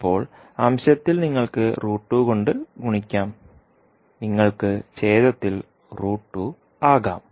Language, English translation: Malayalam, Now, in numerator you can multiply by root 2 and in denominator you can have root 2